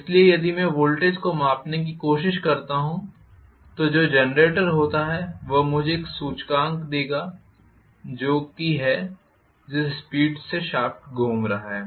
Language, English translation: Hindi, So, if I try to measure the voltage what is generated that will give me an index of what is the speed at which the shaft is rotating